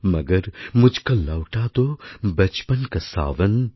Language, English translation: Bengali, Magar mujhko lauta do bachpan ka sawan